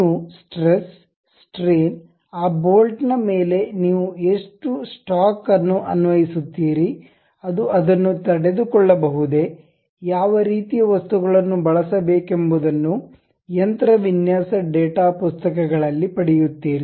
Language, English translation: Kannada, Like you calculate stresses, strains, how much stock you really apply on that bolt, whether it can really sustain, what kind of materials one has to use these kind of things you will get it in machine design data books